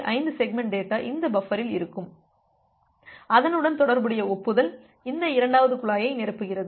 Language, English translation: Tamil, 5 segments of data which are being there in this buffer and the corresponding acknowledgement is filling up this second pipe